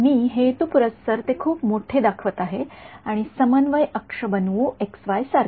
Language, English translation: Marathi, I am purposely showing it very big and let us make a coordinate axis like this x y ok